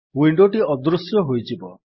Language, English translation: Odia, The window disappears